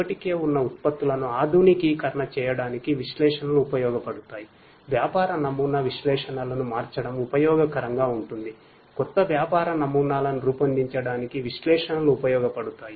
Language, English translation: Telugu, For upgrading the existing products analytics is going to be useful, for changing the business model analytics would be useful, for creating new business models analytics would be useful